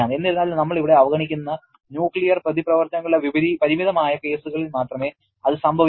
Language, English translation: Malayalam, However, that happens only in very limited cases of nuclear reactions which we are neglecting here